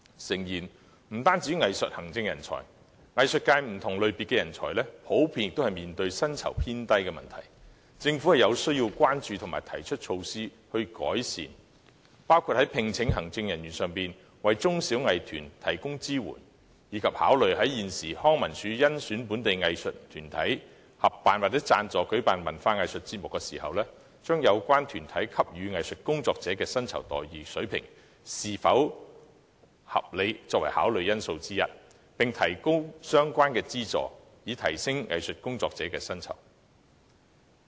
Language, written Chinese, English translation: Cantonese, 當然，不單藝術行政人才，藝術界多個類別的人才也面對薪酬偏低的問題，政府應要關注和實施改善措施，包括就聘請行政人員為中小藝團提供支援，以及考慮在康樂及文化事務署甄選本地藝術團體作為合作夥伴或贊助舉辦文化藝術節目時，把有關團體是否給予藝術工作者合理薪酬待遇列作考慮因素之一，並提高相關的資助，以提升藝術工作者的薪酬。, Talent of various categories of the arts sector apart from arts administrators are certainly underpaid . The Government should pay attention to this and implement relevant improvement measures including providing support to small and medium arts groups for hiring administrators . Moreover in selecting local arts groups as working partners for the Leisure and Cultural Services Department or sponsors for cultural and arts events it should consider factoring in whether the candidates offer reasonable remuneration packages to their arts workers while increasing relevant subsidies for the arts groups so that they can offer higher pay to their arts workers